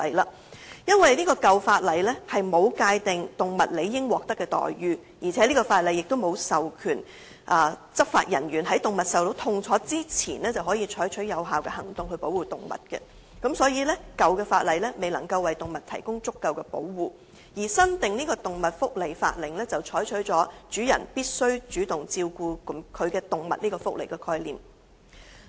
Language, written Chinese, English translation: Cantonese, 由於舊有法例沒有界定動物應獲得的待遇，亦沒有授權執法人員在動物受到痛楚之前，可採取有效的行動來保護動物，所以舊有法例未能為動物提供足夠的保護，但新訂的《動物福祉法令》則採取了主人必須主動照顧其動物這個福利概念。, The old act was considered inadequate to protect the animals as it failed to define how the animal ought to be treated and no authorization had been made for law enforcement officers to take effective action to protect the animals before any suffering occurred . The new AWA on the other hand has adopted the welfare concept that animal owners need to have a positive duty of care